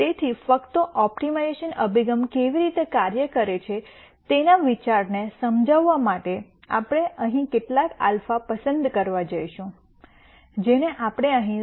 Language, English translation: Gujarati, So, just to illustrate the idea of how an optimization approach works we are going to pick some alpha here, which we have picked as 0